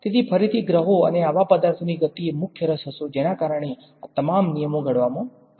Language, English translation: Gujarati, So, again the motion of planets and such objects was the main interest which led to all of these laws being formulated